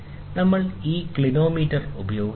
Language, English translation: Malayalam, So, we use this clinometer